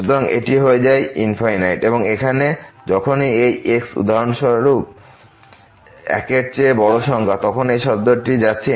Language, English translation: Bengali, So, this becomes infinity and here whenever this is for example, large number greater than 1, then this term is also going to infinity